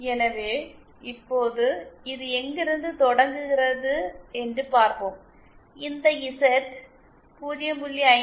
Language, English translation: Tamil, So, let us see now so this is where we were starting from, this is Z equal to 0